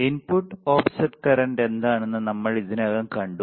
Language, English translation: Malayalam, Now, we already have seen what is input offset current